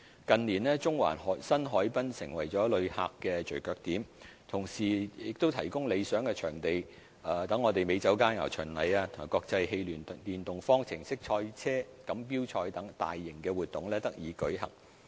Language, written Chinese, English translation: Cantonese, 近年，中環新海濱成為了旅客的聚腳點，同時亦提供理想場地，讓美酒佳餚巡禮及國際汽聯電動方程式賽車錦標賽等大型活動得以舉行。, In recent years the new Central harbourfront has become a favourite spot for visitors . It is also a good venue for holding mega events such as the Hong Kong Wine and Dine Festival and the FIA Formula E Hong Kong ePrix